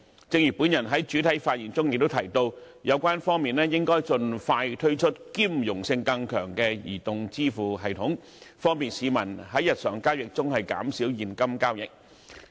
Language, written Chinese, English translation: Cantonese, 正如我在開首發言中也提到，有關方面應盡快推出兼容性更強的移動支付系統，方便市民在日常交易中減少現金交易。, As I have mentioned in my introductory remarks the relevant parties should expeditiously roll out mobile payment systems of higher compatibility for the convenience of the public in reducing the use of cash in daily transactions